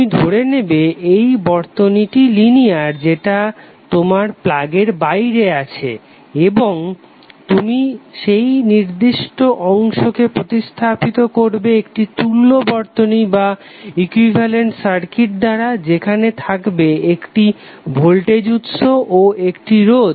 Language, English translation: Bengali, So you will assume that this circuit which is outside your plug point is the linear circuit and you will replace that particular segment with one equivalent circuit where you will have one voltage source and one resistance